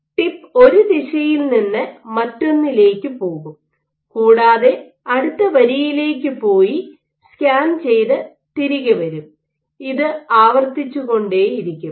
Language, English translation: Malayalam, It will do along a line from one direction to the other it will go to the next line and scan back until keep doing this repeatedly